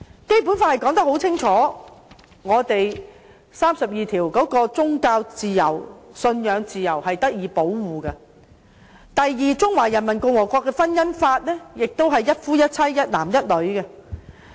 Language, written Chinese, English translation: Cantonese, 《基本法》第三十二條清楚訂明我們的宗教信仰自由受到保障；第二，中華人民共和國的婚姻法亦是一夫一妻、一男一女。, Article 32 of the Basic Law clearly provides for the protection of our freedom of religious belief . Second the Marriage Law of the Peoples Republic of China also upholds monogamy between one man and one woman